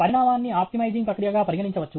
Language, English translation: Telugu, Evolution can be treated as an optimizing process